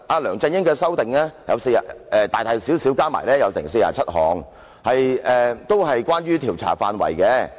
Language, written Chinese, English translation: Cantonese, 梁振英作出大大小小的修改共47項，都與調查範圍有關。, LEUNG Chun - ying made a total of 47 amendments to the scope of inquiry